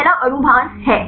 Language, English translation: Hindi, The first one is molecular weight